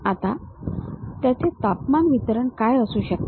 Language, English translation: Marathi, Now what might be the temperature distribution of that